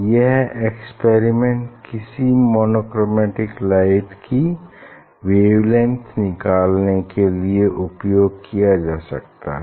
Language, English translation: Hindi, Now, this experiment one can perform to measure the wavelength of the light monochromatic light